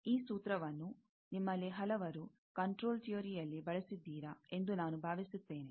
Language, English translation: Kannada, I think, this formula, many of you have used in the control theory